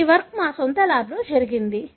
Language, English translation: Telugu, This work was done in our own lab